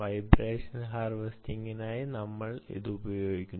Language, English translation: Malayalam, this is the vibration energy harvester